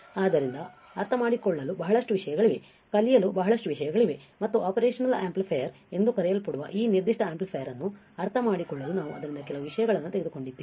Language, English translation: Kannada, So, there are a lot of things to understand, lot of things to learn and we have taken few things from that lot to understand this particular amplifier called operational amplifier right